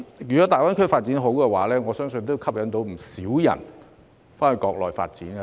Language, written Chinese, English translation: Cantonese, 如果大灣區發展理想，我相信會吸引很多人到該區發展。, If the development in the Greater Bay Area is promising many people will be drawn to pursue development in the area